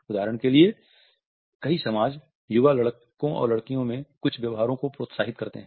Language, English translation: Hindi, Many societies for example encourage certain behavior in young boys and in young girls